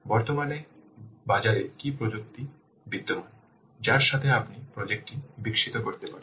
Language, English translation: Bengali, What technologies currently existing in the market with that can we develop the project